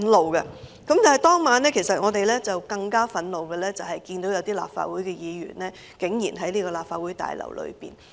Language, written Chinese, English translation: Cantonese, 我們更感憤怒和印象深刻的，是看到當晚有立法會議員在這個立法會大樓內。, What made us more furious and gave us a deeper impression was the presence of a Legislative Council Member in the Legislative Council Complex that evening